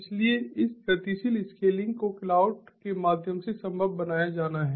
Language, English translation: Hindi, so this dynamic scaling has to be made possible through cloud